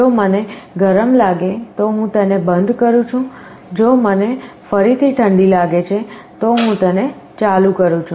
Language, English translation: Gujarati, I am turning it off if I feel hot, I turn it on if I feel cold again, I turn it on again